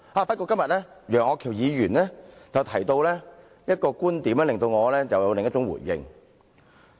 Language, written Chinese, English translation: Cantonese, 不過，楊岳橋議員今天提到一個觀點，令我想到了另一種回應。, That said a point made by Mr Alvin YEUNG today has made me think of another response that I can give in such a situation